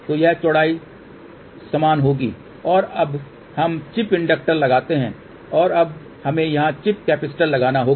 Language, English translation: Hindi, So, this width will be same and now we put the chip inductor and now we have to put a chip capacitor here